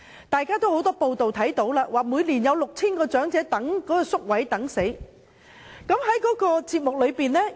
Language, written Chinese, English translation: Cantonese, 大家也看到很多報道，指每年有 6,000 名長者臨終前也輪候不到宿位。, Members must have come across many reports stating that 6 000 elderly persons die every year while waiting for places in residential care homes